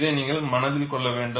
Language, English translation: Tamil, So, this you have to keep in mind